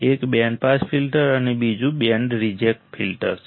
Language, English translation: Gujarati, One is band pass filter and another one is band reject filters